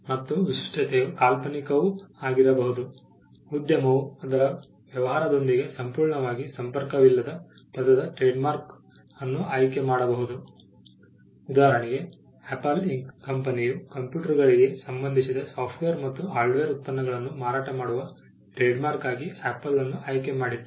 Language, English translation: Kannada, The distinctiveness can also be fanciful, enterprise may choose a trademark of a word which is entirely unconnected with its business; for instance, the company apple inc chose apple as it is trademark for selling software and hardware products relating to computers